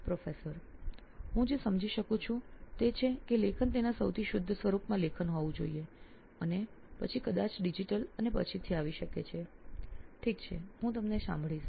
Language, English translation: Gujarati, What I understand is that writing has to be writing in its purest form and then maybe digital and all that can come later, okay I hear you